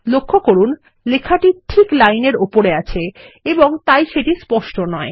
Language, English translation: Bengali, Notice that the text is placed exactly on the line and hence it is not clear